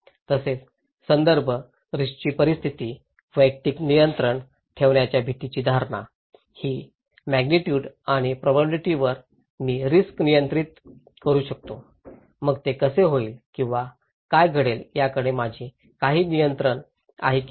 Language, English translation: Marathi, Also, the context, the risk situation, the perception of dread having personal control, that I can control the risk over the magnitude and probability, so how it will happen or what extended to happen, I have some control or not